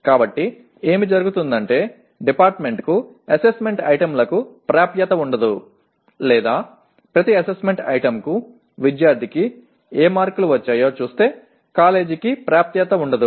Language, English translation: Telugu, So what happens is the department will not have access to assessment items or for each assessment item what marks the student has obtained in SEE the college will not have access to that